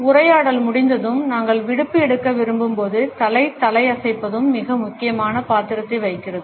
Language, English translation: Tamil, Head nodding also plays a very important role, when we want to take leave after the dialogue is over